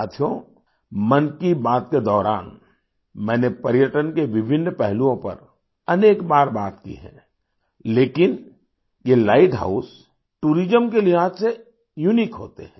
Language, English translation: Hindi, Friends, I have talked of different aspects of tourism several times during 'Man kiBaat', but these light houses are unique in terms of tourism